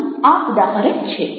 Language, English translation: Gujarati, here are examples